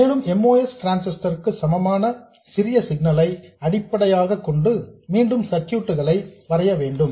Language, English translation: Tamil, So, this is all that we do and I will redraw the circuit in terms of the small signal equivalent of the MOS transistor